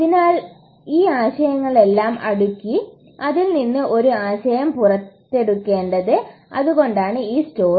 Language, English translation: Malayalam, So that’s why we need to sort of put all these ideas together and get a concept out of it and that’s why this story